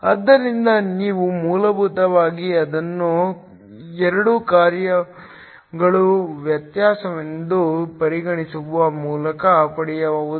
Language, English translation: Kannada, So, this you can get by essentially treating this as the differential of 2 functions